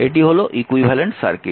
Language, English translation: Bengali, So, this is the equivalent circuit